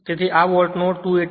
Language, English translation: Gujarati, So this much of volt 288